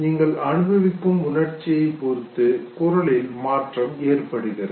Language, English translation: Tamil, So voice modulation takes place depending on the emotion that you are experiencing